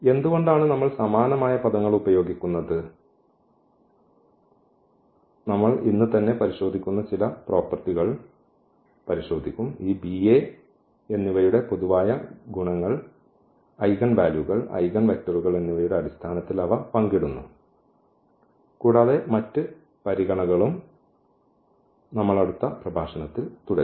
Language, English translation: Malayalam, Why do we use the similar words some of the properties we will check today itself, that they share away many common properties this B and A in terms of the eigenvalues, eigenvectors and there are other considerations as well which we will continue in the next lecture